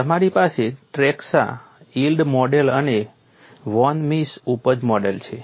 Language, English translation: Gujarati, You have the Tresca yield model and Von Misses yield model